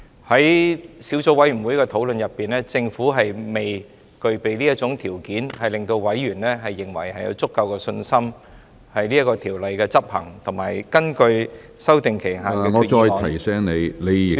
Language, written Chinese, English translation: Cantonese, 在小組委員會的討論中，政府未能令委員有足夠的信心，條例的執行及根據修訂期限的......, In the course of discussion of the Subcommittee the Government failed to give Members sufficient confidence the implementation of the legislation and the period for amending the subsidiary legislation